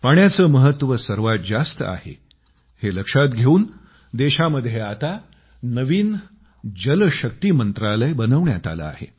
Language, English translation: Marathi, Therefore keeping the importance of water in mind, a new Jalashakti ministry has been created in the country